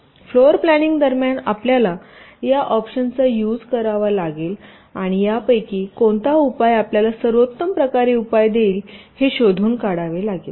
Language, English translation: Marathi, so during floorplanning you will have to exercise these options and find out which of this will give you the best kind of solutions